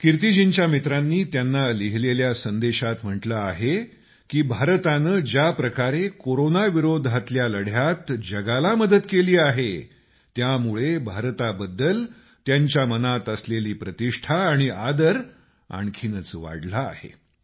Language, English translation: Marathi, Kirti ji's friends have written to her that the way India has helped the world in the fight against Corona has enhanced the respect for India in their hearts